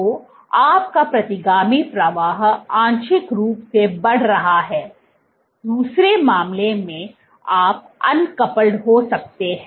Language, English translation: Hindi, So, your retrograde flow is partially increase, in the other case you can have uncoupled